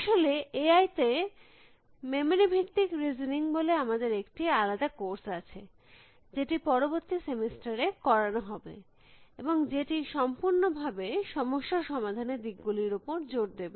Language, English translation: Bengali, And in fact, we have a separate course, which will be offered next semester called memory based listening in A I, which will focus entirely on this approaches to problem solving